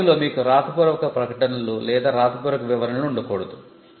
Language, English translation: Telugu, You cannot have written statements or written descriptions in the drawing